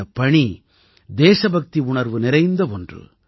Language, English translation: Tamil, This work is brimming with the sentiment of patriotism